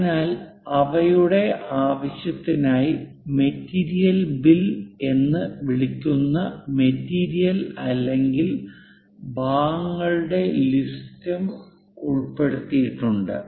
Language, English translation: Malayalam, So, for their purpose material or parts list which is called bill of materials are also included